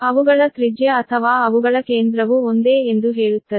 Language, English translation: Kannada, their radius is, say, their center is same